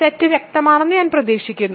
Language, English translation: Malayalam, So, I hope the set is clear